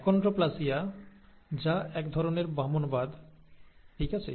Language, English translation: Bengali, Achondroplasia, which is a kind of dwarfism, okay